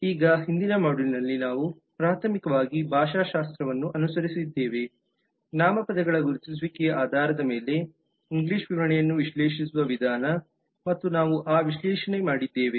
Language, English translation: Kannada, now in the earlier module we have followed a primarily a linguistic approach for analyzing the english description based on that identification of nouns and we have done that analysis